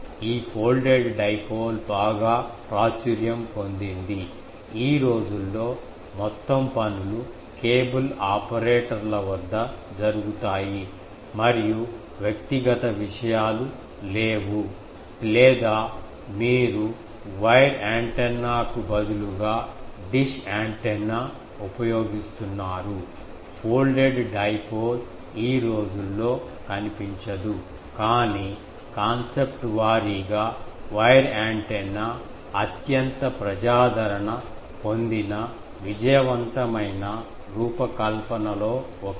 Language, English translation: Telugu, This all this folded dipole was very popular; nowadays, since the whole things is done at cable operators and individual things are not there or you use dish antenna; instead of wire antenna, folded dipole is not seen nowadays, but concept wise, this is one of the very popular successful design of wire antenna, ok